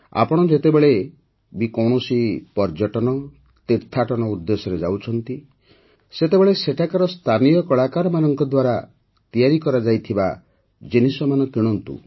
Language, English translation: Odia, Whenever you travel for tourism; go on a pilgrimage, do buy products made by the local artisans there